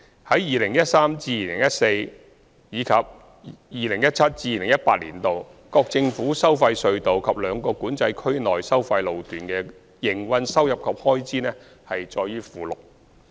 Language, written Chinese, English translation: Cantonese, 在 2013-2014 年度至 2017-2018 年度，各政府收費隧道及兩個管制區內收費路段的營運收入及開支載於附件。, The operating revenues and expenditures of the government tolled tunnels and the tolled sections within the two Control Areas from 2013 - 2014 to 2017 - 2018 are at Annex